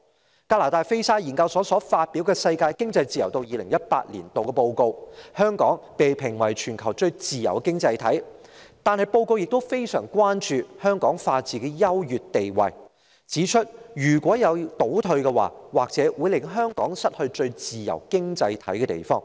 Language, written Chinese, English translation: Cantonese, 在加拿大菲沙研究所發表的《世界經濟自由度2018年度報告》中，香港被評為全球最自由的經濟體，但報告亦非常關注香港法治的優越地位，並指出一旦出現倒退，或會令香港失去最自由經濟體的地位。, According to the Economic Freedom of the World 2018 Annual Report published by the Fraser Institute of Canada Hong Kong is ranked as the freest economy in the world . Yet the report has also expressed grave concern about Hong Kongs superior position in the rule of law pointing out that Hong Kong may lose its top position in economic freedom once it backslides in the rule of law